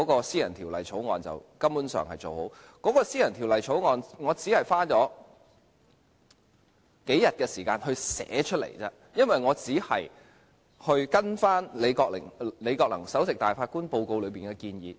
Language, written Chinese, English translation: Cantonese, 私人條例草案很快做好，我只花了數天時間撰寫，因為我只是根據前首席大法官李國能報告內的建議來寫。, It took me just a short time to complete the drafting of the private bill . I only spent several days on it because I simply drafted the bill according to the recommendations in the report prepared by the former Chief Justice Mr Andrew LI